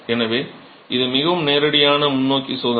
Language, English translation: Tamil, So it's a very straightforward test